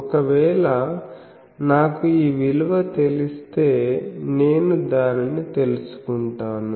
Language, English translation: Telugu, So, if I know this value I can find and that value is known